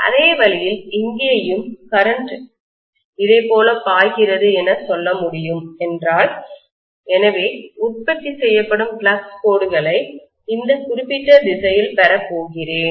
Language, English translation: Tamil, The same way I should be able to say here also, if my current is flowing like this right, so I am going to have the flux lines produced in this particular direction